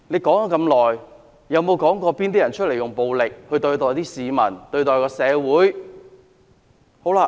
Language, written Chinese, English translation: Cantonese, 可是，他有否指出是甚麼人用暴力對待市民或社會的呢？, However has he pointed out who has used violence against members of the public or the community?